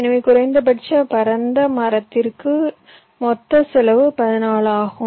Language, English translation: Tamil, so total cost is fourteen for minimum spanning tree